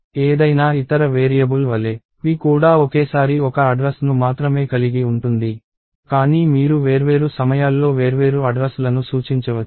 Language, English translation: Telugu, So, just like any other variable p can hold only one address at a time, but you can point to different addresses at different times